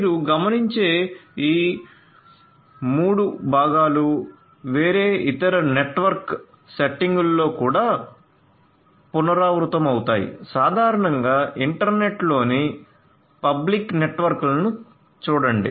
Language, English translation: Telugu, So, these 3 components as you will notice shortly will recur in different other different other network settings as well, look at the internet the public networks in general